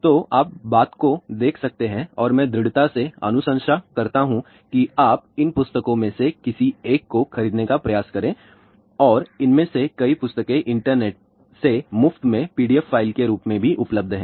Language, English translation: Hindi, So, you can look at thing and I strongly recommend that you please try to buy any one of these books and many of these books are also available as a pdf file for free from internet